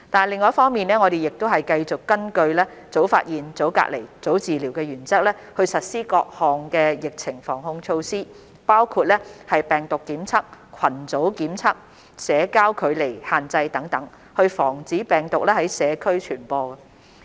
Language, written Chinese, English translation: Cantonese, 另一方面，我們繼續根據"早發現、早隔離、早治療"的原則，實施各項疫情防控措施，包括病毒監測、群組檢測、社交距離限制等，以防止病毒在社區傳播。, On the other hand we have continued to implement various prevention and control measures including monitoring and surveillance targeted group testing social distancing measures etc in accordance with the principle of early identification early isolation and early treatment of the infected to prevent the spread of the virus in the community